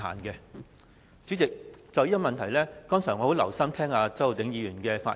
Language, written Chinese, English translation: Cantonese, 代理主席，我剛才很留心聽周浩鼎議員的發言。, Deputy President I have listened very closely to Mr Holden CHOWs speech and was quite glad to hear the first part of it